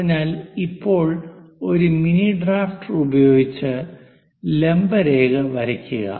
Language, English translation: Malayalam, So, there using your mini drafter draw a perpendicular line this is the one